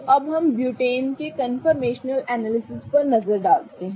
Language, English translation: Hindi, So, now let us look at the conformational analysis of butane